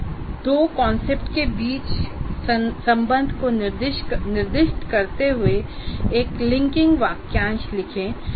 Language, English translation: Hindi, You write a linking phrase specifying the relationship between the two concepts